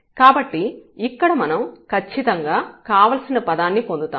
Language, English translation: Telugu, So, we get precisely the desired term here